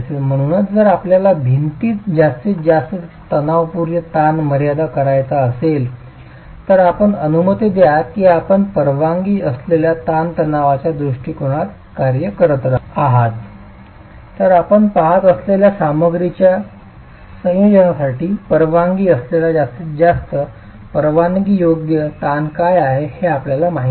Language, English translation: Marathi, So if you want to limit the maximum compressive stress in the wall, let's say you're working within a permissible stress approach, then you know what is the maximum permissible stress that is allowed in the, for the combination of materials that you're looking at